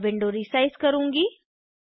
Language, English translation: Hindi, I will resize the window